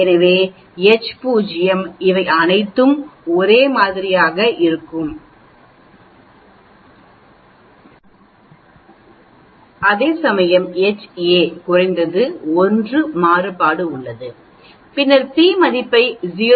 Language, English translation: Tamil, So H naught will be all these are same, whereas H a is at least 1 variance is different then you get a p value less than 0